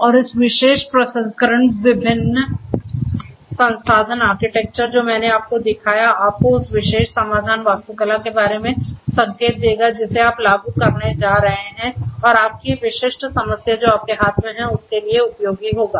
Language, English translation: Hindi, And for this particular processing different solution architectures I have shown you will which will give you a hint about the particular solution architecture that you are going to implement and are going to come up with for your specific problem that you have in hand